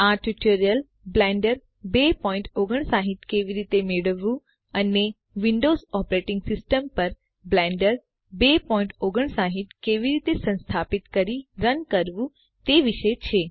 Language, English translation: Gujarati, These tutorial is about getting blender 2.59 and how to install and run Blender 2.59 on the Windows Operating System